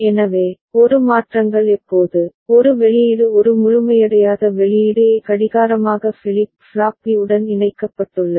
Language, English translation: Tamil, So, whenever A changes, A output A uncomplemented output A is connected as clock to flip flop B